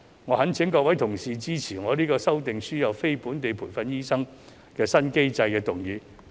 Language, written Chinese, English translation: Cantonese, 我懇請各位同事支持我的"制訂輸入非本地培訓醫生的新機制"議案。, I implore Honourable colleagues to support my motion on Formulating a new mechanism for importing non - locally trained doctors